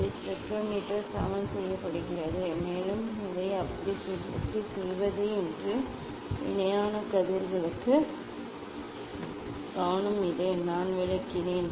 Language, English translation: Tamil, this spectrometer is leveled and also it is focus for parallel rays how to do that, I explained